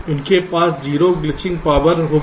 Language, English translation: Hindi, they will have zero glitching power